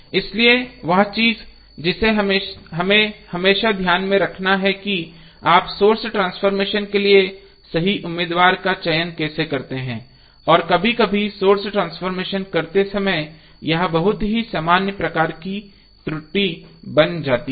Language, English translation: Hindi, So, that something which we have to always keep in mind that how you choose the correct candidate for source transformation and sometimes this becomes a very common type of error when we do the source transformation